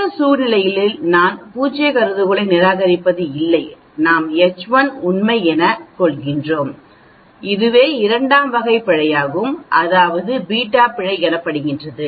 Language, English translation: Tamil, Whereas in the other situation we do not reject the null hypothesis whereas, we have H 1 is true that is called the type 2 error and that is called the beta error